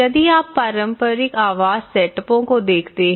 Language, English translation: Hindi, So, if you look at the traditional housing setups